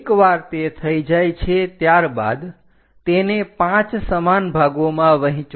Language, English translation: Gujarati, Once it is done, divide that into 5 equal parts